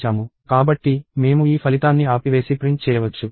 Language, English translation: Telugu, So, we can stop and print this result